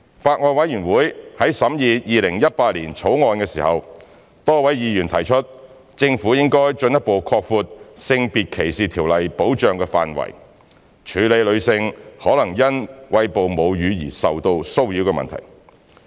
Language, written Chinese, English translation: Cantonese, 法案委員會在審議《2018年條例草案》時，多位議員提出政府應進一步擴闊《性別歧視條例》的保障範圍，處理女性可能因餵哺母乳而受到騷擾的問題。, During the scrutiny of the 2018 Bill by the Bills Committee many Members suggested that the Government should further expand the scope of protection under SDO to address the issue of potential harassment of women because of breastfeeding